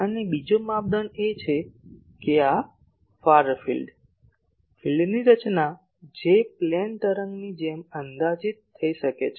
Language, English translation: Gujarati, And another criteria is that this far field, the field structure that can be approximated as a plane wave